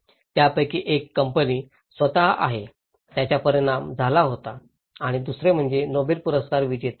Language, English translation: Marathi, One is the company itself, who were affected and other one is a group of Nobel laureate